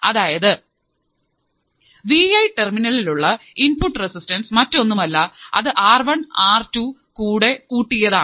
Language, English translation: Malayalam, therefore, input resistance to Vi terminal one is nothing but R1 plus R2